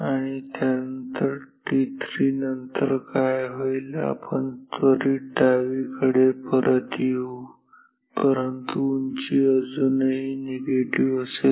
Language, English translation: Marathi, And, then what will happen after that at t 3 we will come back immediately to extreme left, but the height will still be negative